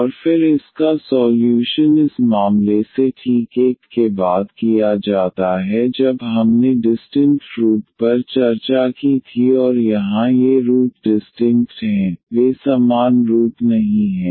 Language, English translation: Hindi, And then the solution it is exactly followed from the case 1 when we discussed the distinct roots and here these roots are distincts they are not the same roots